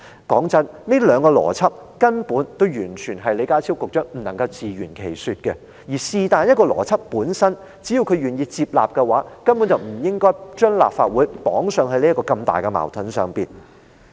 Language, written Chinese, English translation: Cantonese, 老實說，這兩個邏輯根本存在矛盾，李家超局長完全無法自圓其說，而只要他願意接納當中隨便一個邏輯，根本就不應該把立法會綁在這個如此巨大的矛盾中。, To be honest both logical arguments contradict each other . Secretary John LEE is completely unable to justify himself . If only he had been willing to accept either of the logical arguments the Legislative Council would not have been tightly involved in such a huge contradiction at all